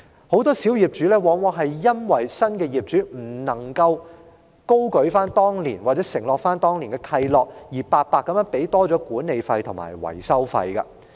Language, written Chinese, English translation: Cantonese, 很多小業主因為新業主未有遵行或承擔當年的契諾，而要白白多支付了管理費及維修費。, Many small owners have paid extra management repair and maintenance fees unnecessarily because the new owners have failed to comply with or fulfil the terms of covenants signed back then